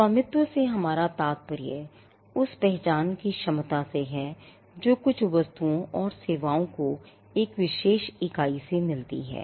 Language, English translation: Hindi, By ownership we mean the ability to identify that, certain goods and services came from a particular entity